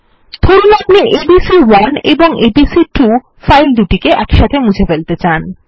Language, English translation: Bengali, Suppose we want to remove this files abc1 and abc2